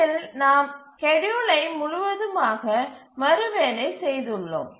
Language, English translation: Tamil, So, in this case we have to entirely rework the schedule